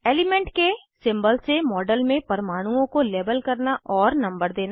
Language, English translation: Hindi, * Label atoms in a model with symbol of the element and number